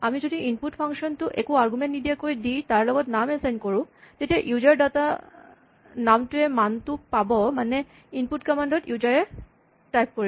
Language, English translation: Assamese, If we invoke the function input with no arguments and assign it to a name, then, the name user data will get the value that is typed in by the user at the input command